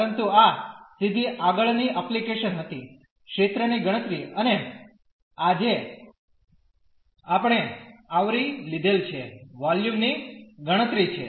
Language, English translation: Gujarati, But this was a straight forward application; the computation of the area and the computation of the volume which we have cover today